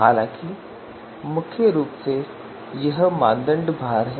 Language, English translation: Hindi, However mainly it is you know criteria weights